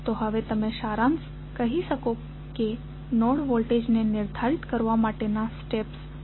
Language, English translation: Gujarati, So, now you can summarize that what would be the steps to determine the node voltages